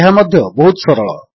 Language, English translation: Odia, Its simple too